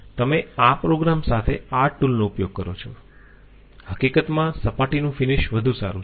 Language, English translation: Gujarati, No problem if you use this tool with this program the surface finish is going to be better in fact